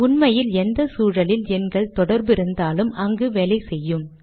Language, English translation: Tamil, In fact with any environment that has a number associated with it